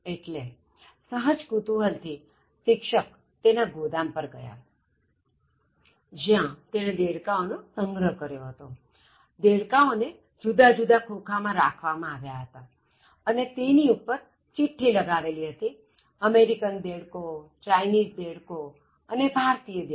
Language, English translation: Gujarati, So out of curiosity, the teacher went to that godown, in which he had stored all of them, so they are kept in huge containers and outside the label was written as American frog, Chinese frog and Indian frog